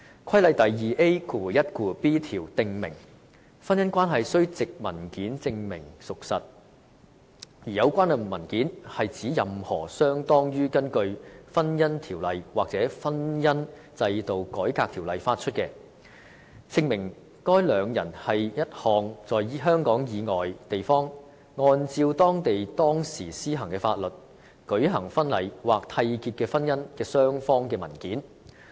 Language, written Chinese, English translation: Cantonese, 《規例》第 2AiB 條則訂明，婚姻關係須藉文件證明屬實，而有關文件是指任何相當於根據《婚姻條例》或《婚姻制度改革條例》發出，證明該兩人是一項在香港以外地方，按照當地當時施行的法律舉行婚禮或締結的婚姻的雙方的文件。, Section 2AiB of the Regulation provides that the fact of a marriage is to be established by means of any document or documents equivalent to any document or documents issued under the Marriage Ordinance or the Marriage Reform Ordinance which shows or show that the two persons are the parties to a marriage celebrated or contracted outside Hong Kong in accordance with the law in force at the time and in the place where the marriage was performed